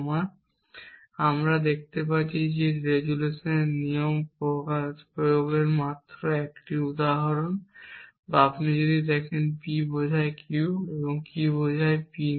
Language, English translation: Bengali, So, we can see that is just 1 example of the resolution rule been applied or if you look at says P implies Q and not Q implies not P